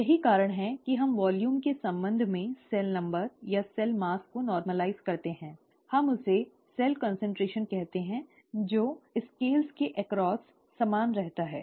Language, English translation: Hindi, That is the reason why we normalize the cell number or the cell mass with respect to volume, we call that cell concentration, that remains the same across scales